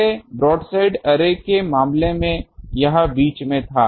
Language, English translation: Hindi, In earlier case in for the broadside array, it was at in between